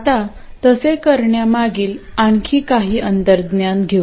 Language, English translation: Marathi, Now, let's get some more intuition behind it